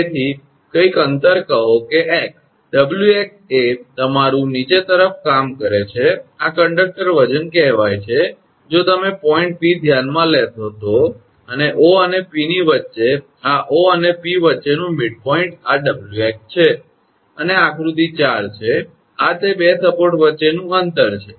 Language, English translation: Gujarati, So, say some distance x, W into x is you are working downwards this is the conductor weight say if you consider the point P and between O and P this is the midpoint between O and P this is Wx and this is figure – 4 and this is the distance between the 2 support